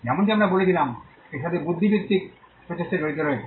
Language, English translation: Bengali, As we said there is intellectual effort involved in it